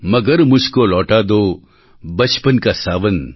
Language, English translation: Gujarati, Magar mujhko lauta do bachpan ka sawan